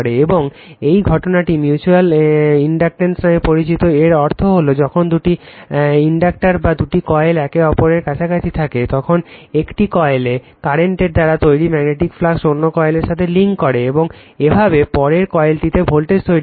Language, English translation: Bengali, And this phenomenon is known as mutual inductance, that means, when two inductors or two coils are there in a close proximity to each other, the magnetic flux caused by current in one coil links with the other coil, thereby inducing voltage in the latter; this phenomenon is known as mutual inductance right